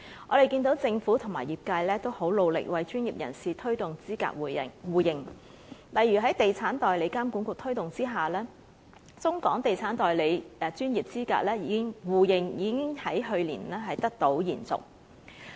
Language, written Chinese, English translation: Cantonese, 我們見到政府和業界都很努力為專業人士推動資格互認，例如在地產代理監管局推動下，中港地產代理專業資格互認，已經在去年得到延續。, We can also see the Government and relevant industries making every effort to seal the mutual recognition pacts with Mainland authorities . For example under the efforts of the Estate Agents Authority the scheme on mutual recognition of professional qualifications of estate agents in the Mainland and Hong Kong was extended last year